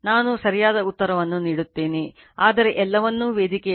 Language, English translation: Kannada, I will give you the correct answer, but put everything in the forum